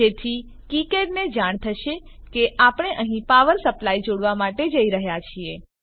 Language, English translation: Gujarati, So then kicad will know that we are going to connect a power supply here